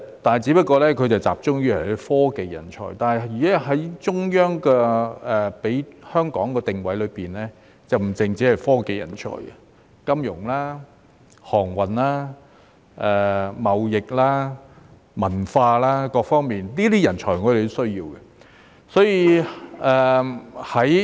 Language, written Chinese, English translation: Cantonese, 不過，他只是集中於科技人才，但中央給予香港的定位卻不只是科技人才，亦包括金融、航運、貿易、文化等方面，我們也需要這些人才。, While he only focuses on technology talents based on the Central Authorities positioning for Hong Kong we should not only focus on technology talents but also talents in the fields of finance shipping trade and culture etc . as we also need such talents